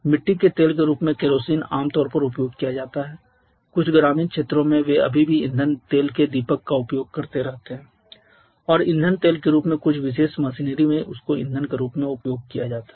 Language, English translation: Hindi, Kerosene has generally application in the form of in certain rural areas they keep on using the kerosene lamp steel and fuel oil is used as the fuel in certain machineries in certain heavy machinery